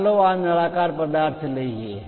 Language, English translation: Gujarati, Let us take a cylindrical object, this one